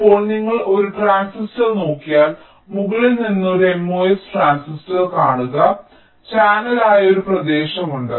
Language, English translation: Malayalam, now, if you look at a transistor, say from a top view, a mos transistor, there is a region which is the channel